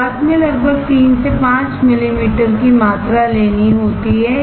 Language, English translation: Hindi, About 3 to 5 ml volume has to be taken initially